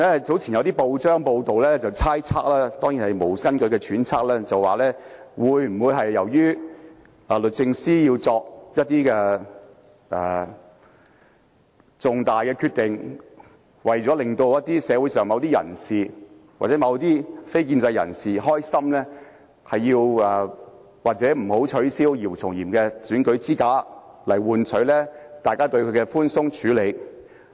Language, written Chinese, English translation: Cantonese, 早前有報章報道，內容當然只屬猜測，是無根據的揣測，說是否因為律政司司長為了令社會上某些人士或非建制人士高興，便不取消姚松炎的選舉資格，以換取大家對她的問題寬鬆處理。, Some time ago there was a press report whose contents were of course pure speculations or groundless conjectures querying whether the Secretary for Justice decided not to disqualify YIU Chung - yim from standing for election because she wanted to please certain members of the community or the non - establishment camp in exchange for their leniency towards her problems